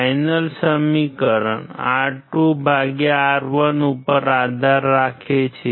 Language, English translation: Gujarati, The final equation depends on R2/R1